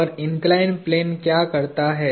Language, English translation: Hindi, And what does the inclined plane do